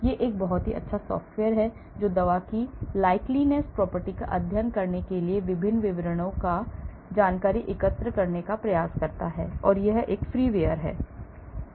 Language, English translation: Hindi, So, this is a very good software for one to study the drug likeness property, try to collect information on various descriptors and it is a freeware